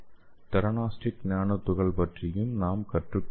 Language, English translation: Tamil, That is called as theranostic nanoparticles